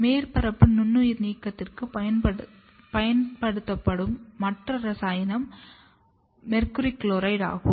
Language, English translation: Tamil, Some of the others chemical agent which is used for surface sterilization is HgCl 2